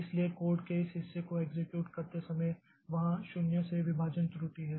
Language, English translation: Hindi, So, while executing say this part of the code, so there was an there is a divide by zero error